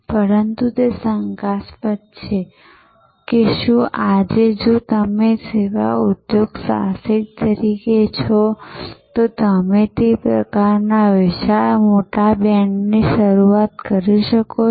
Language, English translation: Gujarati, But, it is doubtful that whether today if you are as service entrepreneur, you can start with that sort off huge big band